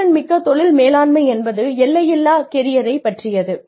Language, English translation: Tamil, Proactive Career Management is about boundaryless careers